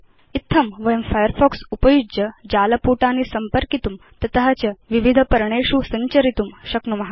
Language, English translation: Sanskrit, This is how we can visit websites using Firefox and then navigate to various pages from there